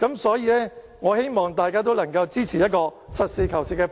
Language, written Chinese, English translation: Cantonese, 所以，我希望大家都能支持這個實事求是的方案。, Therefore I wish you would support this practical proposal